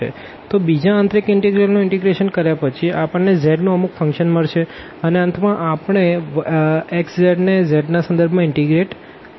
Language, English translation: Gujarati, So, after the integration of this second inner integral, we will get a some function of z and now at the end we will integrate this x z with respect to z